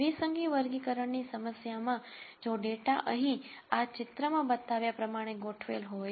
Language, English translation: Gujarati, In a binary classification problem if the data is organized like it is shown in this picture here